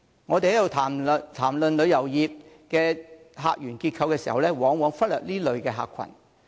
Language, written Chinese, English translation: Cantonese, 我們在談論旅遊業的客源結構時，往往忽略這類客群。, This category of tourists is often overlooked when we discuss the composition of visitor sources of the tourism industry